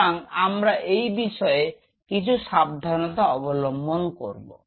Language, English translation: Bengali, So, I will be I will be little cautious on it